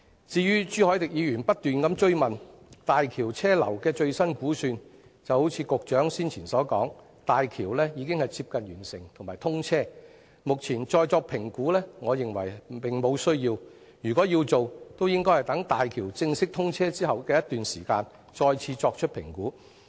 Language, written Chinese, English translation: Cantonese, 至於朱凱廸議員不斷追問大橋車流量的最新估算，正如局長之前所說，大橋已經接近完成，快將通車，我認為目前再作評估並無需要，如果要做，也應該待大橋正式通車一段時間後再作評估。, Regarding the updated information on traffic throughput estimation sought relentlessly by Mr CHU Hoi - dick as explained by the Secretary previously HZMB is almost completed and will be commissioned very soon I consider that it is unnecessary to make an estimation again and if an estimation has to be made it should be made some time after the official commissioning of HZMB